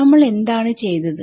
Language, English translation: Malayalam, What did we do